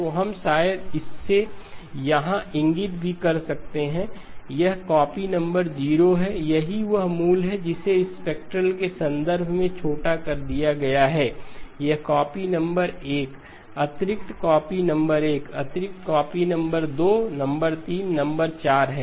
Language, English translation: Hindi, So we can maybe even indicate it here, this is copy number 0, that is the original it has been shrunk in terms of the spectral, this is copy number 1, additional copy number 1, additional copy number 2, number 3, number 4 and after that the periodicity kicks in okay